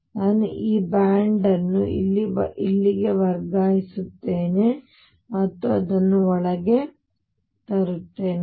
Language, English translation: Kannada, So, I shift this band here and bring it in